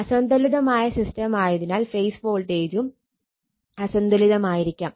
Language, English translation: Malayalam, So, unbalanced system phase voltage also may be unbalanced